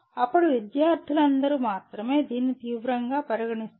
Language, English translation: Telugu, Then only all the students will take it seriously